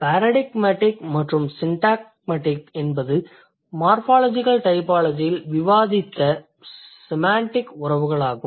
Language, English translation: Tamil, So, paradigmatic and syntagmatic, these are the semantic relations that we discussed in morphological typology